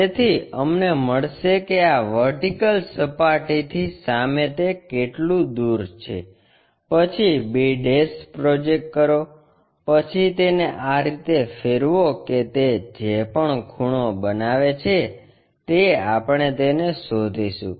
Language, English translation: Gujarati, So, that we will get a how far it is in front of this vertical plane, then project b', then rotate it in such a way that whatever the angle it is made that we will locate it